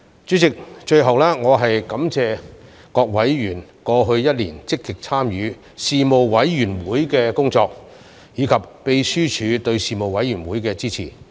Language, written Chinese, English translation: Cantonese, 主席，最後我感謝各委員過去一年積極參與事務委員會的工作，以及秘書處對事務委員會的支持。, President finally I thank members for having proactively participated in the work of the Panel in the last year and appreciate the Secretariats support of the Panel